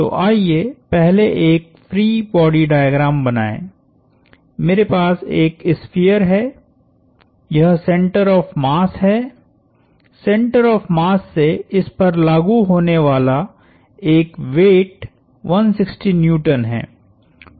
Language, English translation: Hindi, So, let us first draw a free body diagram, I have a sphere, this is the center of mass, there is a weight 160 Newtons acting at this through the center of mass